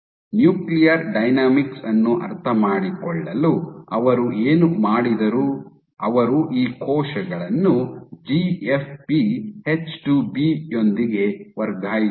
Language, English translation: Kannada, So, when what they did why for understanding nuclear dynamics, what they did was they transfected these cells with GFP H2B